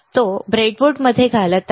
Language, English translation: Marathi, he is inserting it into the breadboard